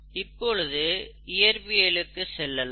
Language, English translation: Tamil, How did we learn physics